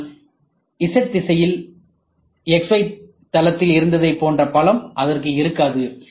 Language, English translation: Tamil, But, in the z direction, it does not have the same strength what was there in the x, y plane